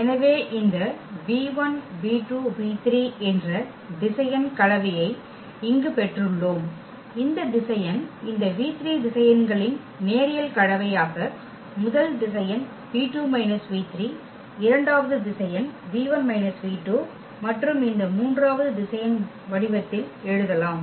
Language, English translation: Tamil, So, we got this linear combination here that this any vector v 1 v 2 v 3 we can write down as a linear combination of these given vectors in the form that v 3 the first vector, v 2 minus v 3 the second vector and v 1 minus v 2 this third vector